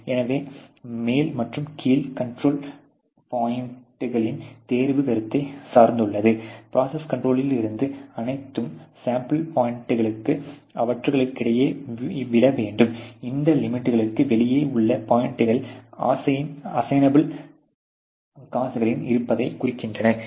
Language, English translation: Tamil, So, the selection of the upper and lower control points also depend on the notion that all sample point should fall between them if the process is in control, the points lying outside these limits signal the presence of assignable causes